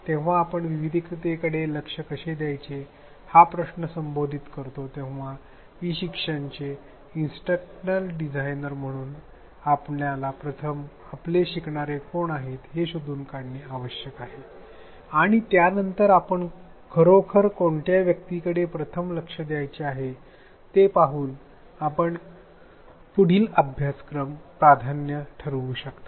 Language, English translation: Marathi, When we come to the issue of how to address this diversity the first thing we need to do as instructional designers of e learning is to try to figure out who our learners are and then see which ones we really want to address first and next we can prioritize